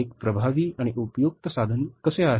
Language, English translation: Marathi, How it is a effective and useful tool